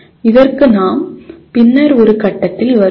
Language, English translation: Tamil, We will come to that at a later point